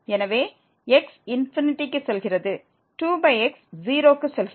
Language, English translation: Tamil, So, goes to 0 minus this goes to